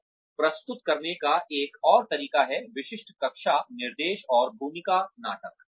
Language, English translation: Hindi, And, another way of presenting is, the typical classroom instruction and role plays